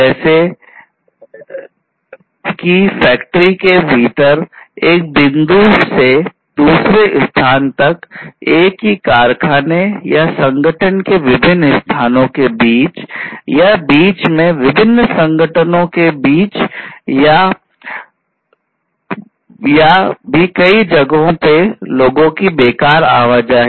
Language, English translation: Hindi, Unnecessary movement of people from one point to another within the factory, outside the factory, across different locations of the same factory or organization, or between different organizations as the case may be